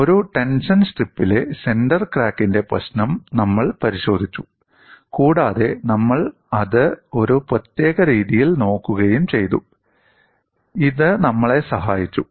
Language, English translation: Malayalam, We have looked at the problem of a center crack at a tension strip and we have also looked at it in a particular fashion; this helped us